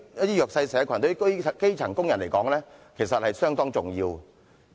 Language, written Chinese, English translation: Cantonese, 對弱勢社群及基層工人而言 ，4,000 元是相當重要的。, To the disadvantaged and grass - roots workers the difference of 4,000 is really a significant amount